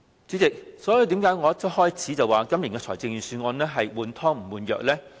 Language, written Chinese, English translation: Cantonese, 主席，為何我一開始便說今年的預算案是"換湯不換藥"呢？, President why did I describe the Budget this year as old wine in a new bottle at the very beginning of my speech?